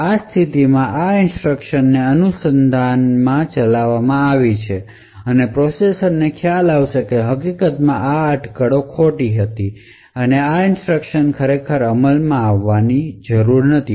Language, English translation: Gujarati, So, in this condition 2 since these instructions following have been speculatively executed the processor would realize that in fact this speculation was wrong and these instructions were actually not to be executed